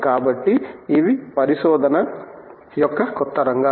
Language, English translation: Telugu, So, these are the new areas of research